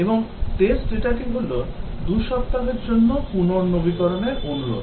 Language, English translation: Bengali, And the test data is renew request for a 2 week period